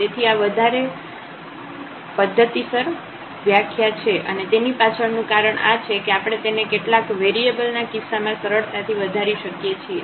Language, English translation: Gujarati, So, this is more formal definition and the reason behind this we will we can easily extend it to the case of several variable